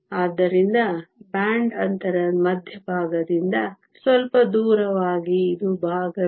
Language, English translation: Kannada, So, slightly deviated away from the center of the band gap this is part b